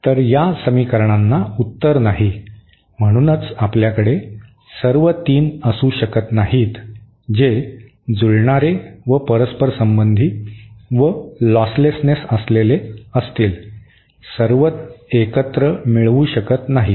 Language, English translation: Marathi, So these equations do not have a solution, so therefore we cannot have all the 3, that is matching + reciprocity + losslessness, all together cannot achieve